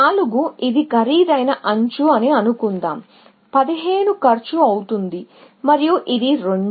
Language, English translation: Telugu, Let us say, this is an expensive edge, costing 15 and this is 2